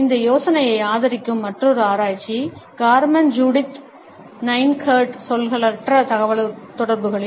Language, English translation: Tamil, Another research which also supports this idea is by Carmen Judith Nine Curt, in nonverbal communication